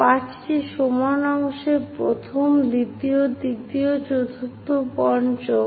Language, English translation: Bengali, So, 5 equal parts first, second, third, fourth, fifth